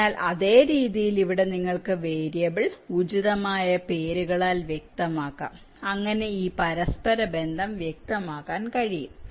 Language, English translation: Malayalam, so in this same way, here you can specify the variable names appropriately so that this interconnection can be specified